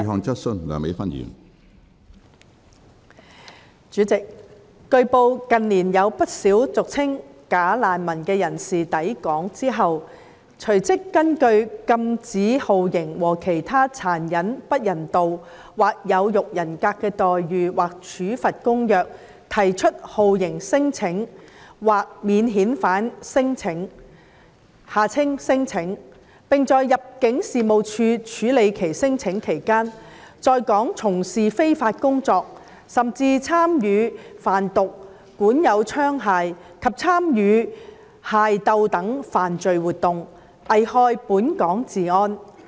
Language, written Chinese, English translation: Cantonese, 主席，據報，近年有不少俗稱"假難民"的人士抵港後，隨即根據《禁止酷刑和其他殘忍、不人道或有辱人格的待遇或處罰公約》提出酷刑聲請或免遣返聲請，並在入境事務處處理其聲請期間，在港從事非法工作，甚至參與販毒、管有槍械及參與械鬥等犯罪活動，危害本港治安。, President it has been reported that in recent years quite a number of people commonly known as bogus refugees lodged torture claims or non - refoulement claims claims under the Convention against Torture and Other Cruel Inhuman or Degrading Treatment or Punishment immediately upon their arrival in Hong Kong . While their claims are being processed by the Immigration Department they take up illegal employment in Hong Kong and even engage in criminal activities such as drug trafficking possession of arms and armed conflicts which pose a threat to the law and order of Hong Kong